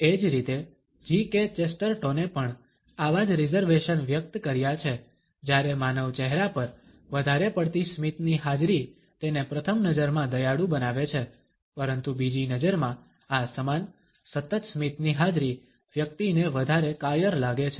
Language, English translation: Gujarati, In the same way G K Chesterton, has also expressed similar reservations when the presence of too much smile on a human face makes it rather kindly at first glance, but at the second glance this same presence of continuity smile makes a person look rather cowardly